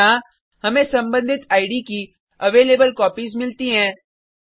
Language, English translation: Hindi, Here, we get the availablecopies for corresponding id